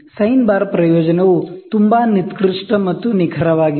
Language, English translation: Kannada, Sine bar is advantage is very precise and accurate